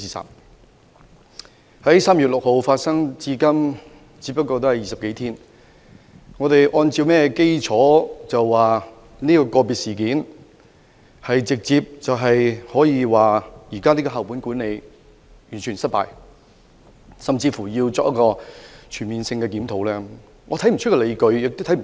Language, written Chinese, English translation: Cantonese, 事件自3月6日發生至今，只有20多天。我們怎可因為這宗個別事件而直接得出校本管理制度完全失敗的結論，甚至要求全面檢討此制度？, How can we conclude just some 20 days after this incident which happened on 6 March that the school - based management system is a complete fiasco and even ask for a comprehensive review of the system?